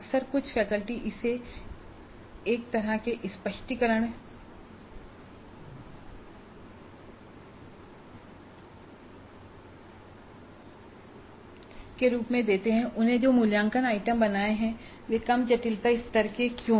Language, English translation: Hindi, Now often faculty give not all but some of them do give this as a kind of an explanation why the assessment items that they have created are at lower complexity level